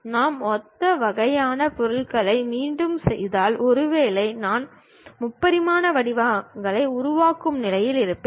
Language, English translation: Tamil, If I repeat similar kind of objects, perhaps I will be in a position to construct three dimensional shapes